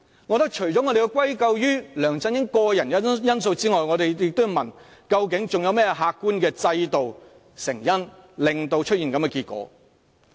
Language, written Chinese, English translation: Cantonese, 我覺得除了要歸咎於梁振英個人的因素之外，我們亦要問，究竟還有甚麼客觀的制度、成因導致出現這樣的結果？, In my opinion it has something to do with LEUNG Chun - yings personal attributes but we also need to ask if there are other objective systems and causes that have brought about such consequences